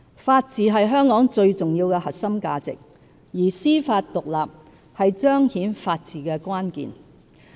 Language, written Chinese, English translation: Cantonese, 法治是香港最重要的核心價值，而司法獨立是彰顯法治的關鍵。, The rule of law is the most important core value of Hong Kong and independence of the Judiciary is the key to embodying the rule of law